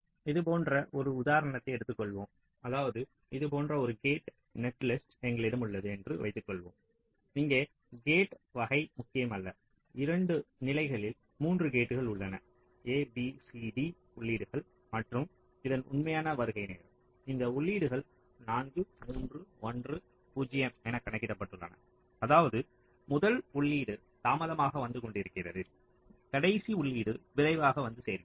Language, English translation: Tamil, take next, take an example like this: suppose means we have a gate netlist like this here, the type of this, not important, just there are three gates in two levels: a, b, c, d are the inputs and the actual arrival time of this, of this inputs are shown: four, three, one zero, which means the first input is arriving late, the last input is arriving earliest